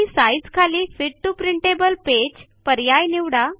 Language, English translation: Marathi, And under Size, lets select Fit to printable page